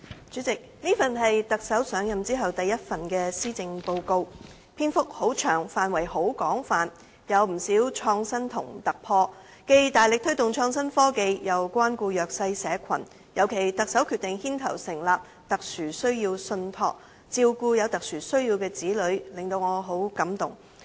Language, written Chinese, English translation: Cantonese, 主席，這是特首上任後第一份施政報告，篇幅很長，範圍很廣，有不少創新和突破，既大力推動創新科技，也關顧弱勢社群，尤其特首決定牽頭成立"特殊需要信託"照顧有特殊需要的子女，令我很感動。, It is a lengthy policy address with a broad scope and it contains quite a number of innovative ideas and breakthroughs . It vigorously promotes innovation and technology and shows concern for the underprivileged . I am particularly touched by the Chief Executives decision to take the lead in setting up a special needs trust to take care of children with special needs